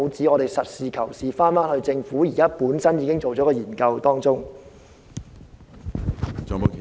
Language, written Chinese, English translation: Cantonese, 我們要實事求是，翻看政府本身已經完成的研究。, We should seek the truth from facts and look at the findings of the research completed by the Government itself